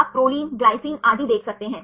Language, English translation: Hindi, You can see Pro, Gly and so on